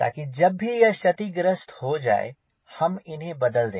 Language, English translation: Hindi, so whenever the damage they replace that ok